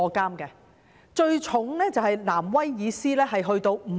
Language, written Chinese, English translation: Cantonese, 刑罰最重的是新南威爾斯，刑期達5年。, The penalty in New South Wales is the heaviest with a term of imprisonment up to five years